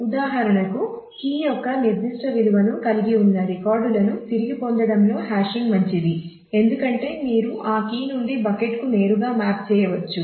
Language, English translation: Telugu, So, for example, hashing is better in terms of retrieving records which have a specific value of the key because you can directly map from that key to the bucket